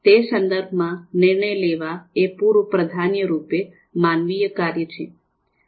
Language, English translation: Gujarati, So in that sense, decision making is preeminently a human function